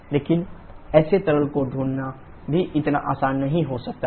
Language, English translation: Hindi, But finding such a liquid may not also be so easy